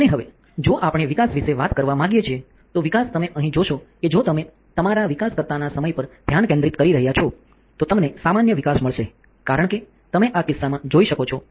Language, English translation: Gujarati, And now if we want to talk about developing, then developing you can see here if you are concentrating on your time of the developer right then you will get the normal development as you can see in this case